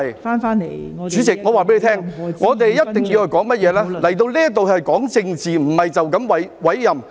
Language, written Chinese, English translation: Cantonese, 代理主席，我告訴你，我們一定要說的是甚麼，來到這裏要講政治，而不是單單委任。, Deputy President let me tell you what we must talk about . When we come here we must talk about politics rather than merely the appointment